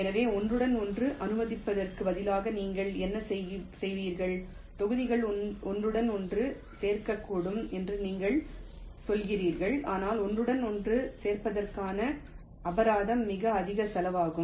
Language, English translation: Tamil, so instead of disallow overlapping what you would, you are saying the blocks can overlap, but the penalty for overlapping will be of very high cost